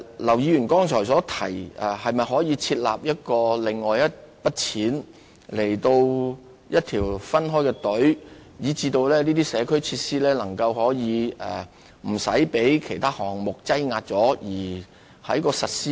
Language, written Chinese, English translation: Cantonese, 劉議員剛才提到，可否另設一筆款項或另設一條申請隊伍，讓社區設施不會因被其他項目搶先而推遲實施。, Just now Mr LAU asked if another fund or another application team could be set up so that the implementation of the community facilities would not be postponed because other projects were accorded higher priority